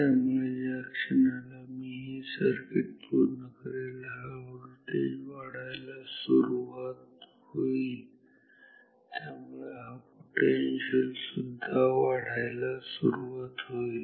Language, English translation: Marathi, So, the moment I complete this circuit this potential will start to increase